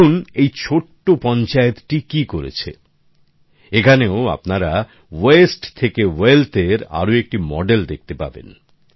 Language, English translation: Bengali, See what this small panchayat has done, here you will get to see another model of wealth from the Waste